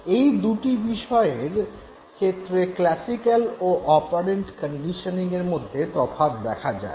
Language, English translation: Bengali, So, we will now try to establish the difference between classical and operant conditioning